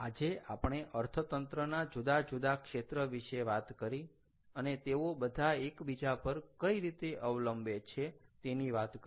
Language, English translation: Gujarati, we talked about the different sectors of an economy and how they are interdependent on each other